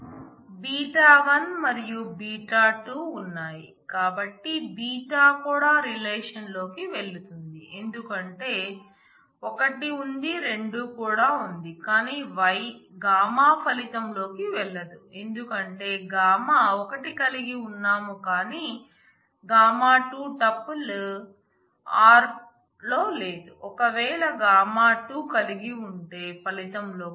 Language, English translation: Telugu, Beta 1 is there and beta 2 is also there, so beta also goes into the relation alpha goes in because 1 is there 2 is also there, but gamma will not go in because I have gamma 1, but I do not have a tuple gamma 2 in r if I had gamma 2 in r that will go in the result